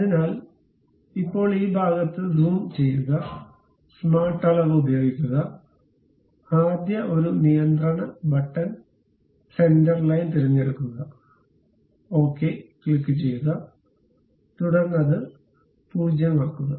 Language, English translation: Malayalam, So, now, zoom in this portion, use smart dimension; pick the first one control button, center line, click ok, then make it 0